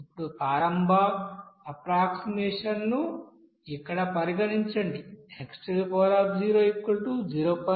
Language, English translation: Telugu, Now consider the initial approximation is here x is 0